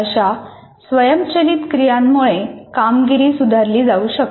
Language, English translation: Marathi, Actually, such automation of the performance can be improved